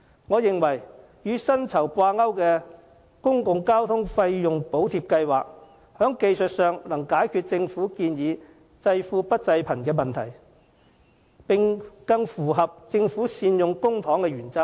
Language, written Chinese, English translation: Cantonese, 我認為與薪酬掛鈎的公共交通費用補貼計劃，技術上能解決政府方案濟富不濟貧的問題，並更符合政府善用公帑的原則。, A salary - linked public transport subsidy scheme I believe can technically solve the problem of subsidizing the rich but not the poor arising from the government proposal while being better in line with the principle of putting public funds to proper use